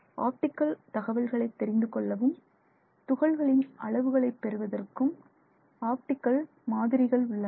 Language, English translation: Tamil, And then there are also optical methods where there are some models that are used to understand optical data and obtain particle sizes